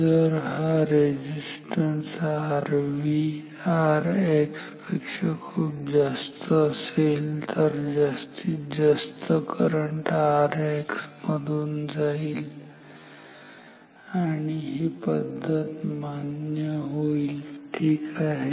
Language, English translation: Marathi, If this resistance R V is much higher than R X then most of the current will go through R X and this method is acceptable ok